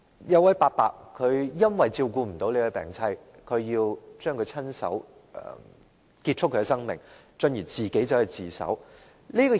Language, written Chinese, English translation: Cantonese, 有一位伯伯由於無法照顧他的病妻，於是親手結束她的生命，然後自首。, As the man who is an elderly could not take care of his ailing wife he killed her with his own hands and then turned himself in to the Police